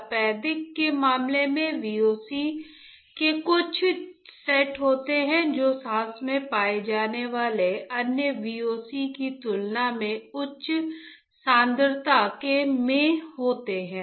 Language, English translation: Hindi, In case of tuberculosis as well there are certain sets of VOCs that are in higher concentration compared to the other VOCs that are found in the breath